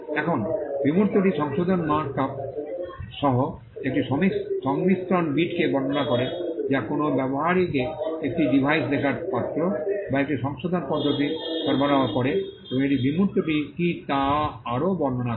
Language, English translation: Bengali, Now, the abstract describes a combination bit with correction markup providing a user with a writing utensil and a correction method in a single device and it further describes what the abstract is